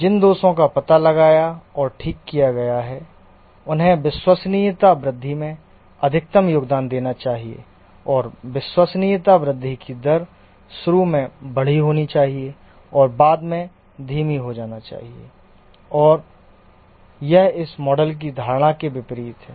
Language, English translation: Hindi, Initial faults that are detected and corrected should contribute maximum to the reliability growth and the rate of reliability growth should be large initially and slow down later on and this is contrary to the assumption of this model and therefore this model will not really give very accurate results